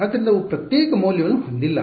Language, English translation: Kannada, So, they shared they do not have a separate value